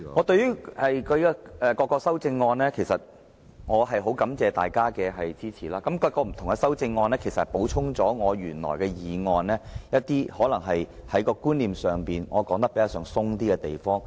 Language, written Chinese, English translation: Cantonese, 對於各項修正案，我很感謝大家的支持，而各項修正案補充了我的原議案可能在觀念上較寬鬆的地方。, In regard to various amendments I thank those Members for their support and the various amendments have supplemented my original motion which may be conceptually loose in certain areas